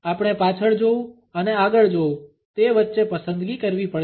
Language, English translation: Gujarati, We have to choose between looking backwards and looking forwards